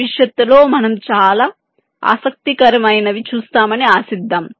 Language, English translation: Telugu, so lets hope that will see something very interesting in the near future